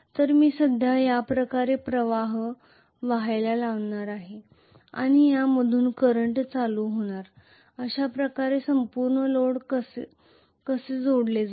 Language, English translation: Marathi, So I am going to have the current flowing this way and from plus the current is going to emanate like this is how the entire load is connected,ok